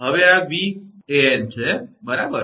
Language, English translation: Gujarati, Now this is Van, right